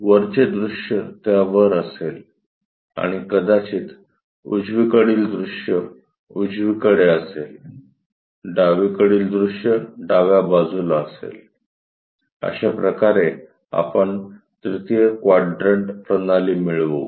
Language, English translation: Marathi, Top view will be on top and perhaps, right side view on the right hand side, left side view will be on the left hand side, this is the way we will get for 3rd quadrant systems